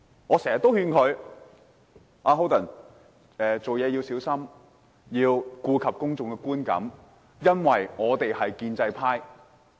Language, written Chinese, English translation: Cantonese, 我經常也勸他，做事要小心，要顧及公眾的觀感，因為我們是建制派。, I often advise him to act carefully and pay attention to public perception because we are pro - establishment Members